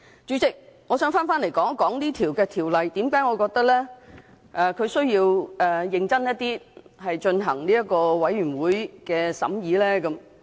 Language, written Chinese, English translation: Cantonese, 主席，我想說回為甚麼我認為《條例草案》應認真地由法案委員會進行審議。, President I would like to come back to the question of why I think the Bill should be scrutinized seriously by a Bills Committee